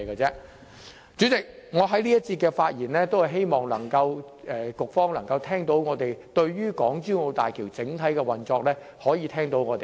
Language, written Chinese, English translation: Cantonese, 主席，我在這一節發言，是希望局方能夠聽取我們對港珠澳大橋整體運作的意見。, President I speak in this session with a view to urging the Bureau to heed our opinions on the overall operation of HZMB